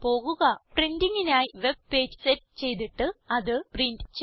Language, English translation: Malayalam, * Setup the web page for printing and print it